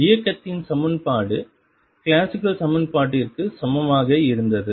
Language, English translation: Tamil, And the equation of motion was same as classical equation